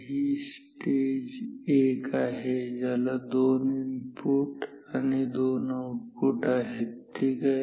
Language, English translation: Marathi, So, this is the stage 1, which has two inputs, two outputs; two inputs, two outputs ok